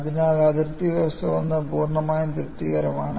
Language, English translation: Malayalam, , so the boundary condition 1 is fully satisfied